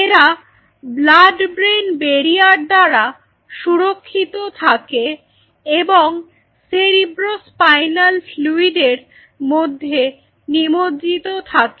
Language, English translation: Bengali, So, these are protected by blood brain barrier BBB, and they are bathe in cerebrospinal fluid CSF Cerebro Spinal Fluid blood brain barrier